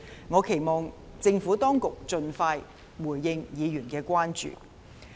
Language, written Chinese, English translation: Cantonese, 我期望政府當局盡快回應議員的關注。, I hope that the Administration will respond to Members concerns as soon as possible